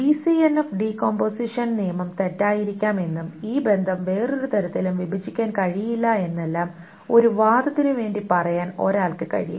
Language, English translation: Malayalam, And one can also say just to argue that maybe the BCNF decomposition rule was wrong that there is no way to break this relationship down into any other way